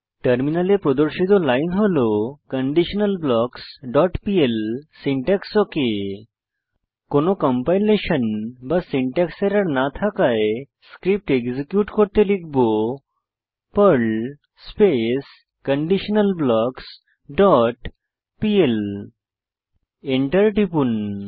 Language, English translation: Bengali, The following line will be displayed on the terminal window conditionalBlocks.pl syntax OK As there is no compilation or syntax error, we will execute the Perl script by typing perl conditionalBlocks dot pl and press Enter The following output will be shown on terminal